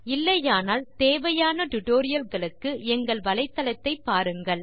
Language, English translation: Tamil, If not, please visit the spoken tutorial website for the relevant tutorials on Geogebra